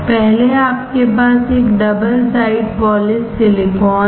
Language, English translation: Hindi, First is you have a double side polished silicon